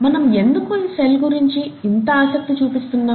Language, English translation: Telugu, Why are we so interested in this cell